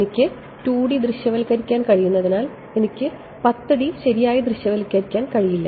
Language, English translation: Malayalam, Because I can visualize 2 D I cannot visualize 10 D right